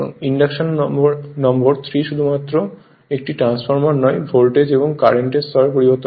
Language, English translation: Bengali, The indu[ction] number 3 the induction motor is not merely a transformer which changes voltage and current levels